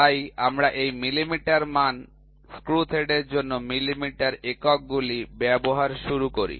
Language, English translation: Bengali, So, we start using these millimetre standard, millimetre units for the screw thread